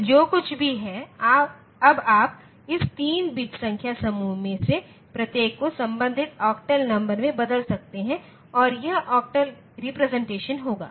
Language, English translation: Hindi, So, whatever it is, now, you can convert each of this 3 bit number group into the corresponding octal digit and that will be the octal representation